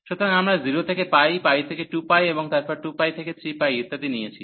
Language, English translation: Bengali, So, we have taken the 0 to pi, pi to 2 pi, and then 2 pi to 3 pi, and so on